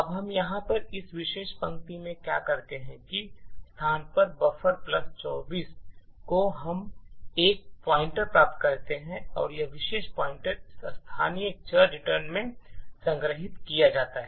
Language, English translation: Hindi, Now, what we do in this particular line over here is that at this location buffer plus 24 we obtain a pointer and this particular pointer is stored in this local variable return